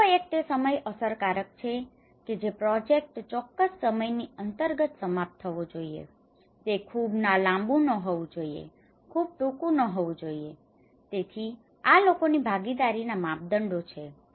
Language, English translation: Gujarati, Another one is the time effective that if the project should be finished within a particular time, tt should not be too long, should not be too short, so these are the criterias of public participations